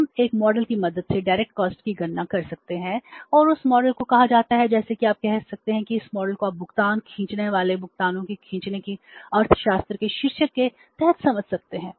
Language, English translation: Hindi, We can calculate the direct cost with the help of one model and that model is called as you can say that this model you can understand under the title of economics of stretching the payments stretching the payments